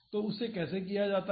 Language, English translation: Hindi, So, how is it done